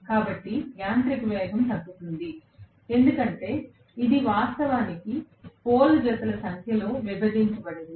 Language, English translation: Telugu, So, the mechanical speed will decrease because it is actually divided by the number of pole pairs